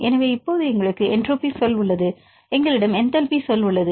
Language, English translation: Tamil, So, now we have the entropic term; we have the enthalpic term and this is the example for different proteins